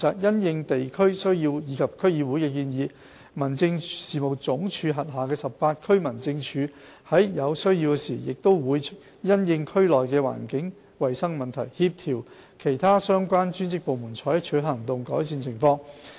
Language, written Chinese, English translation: Cantonese, 因應地區需要及區議會的建議，民政事務總署轄下18區民政處在有需要時亦會因應區內的環境衞生問題，協調其他相關專職部門採取行動，改善情況。, In response to the needs of the districts and recommendations of DCs the 18 DOs of HAD would where necessary coordinate other relevant departments to take action and improve the environmental hygiene condition of the districts